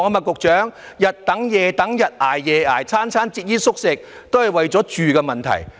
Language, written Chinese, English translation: Cantonese, 局長，他們日等夜等、日捱夜捱、每餐節衣縮食，都是為了住的問題。, Secretary they are waiting and toiling day and night leading frugal lives and this is all for housing